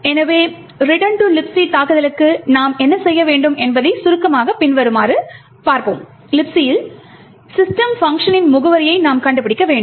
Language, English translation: Tamil, So to summarize what we need to mount a return to LibC attack is as follows, we need to find the address of the system function in your LibC